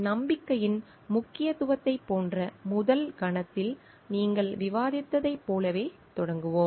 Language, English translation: Tamil, Let us start like in the what you have discussed at the first instant is of course like the importance of trust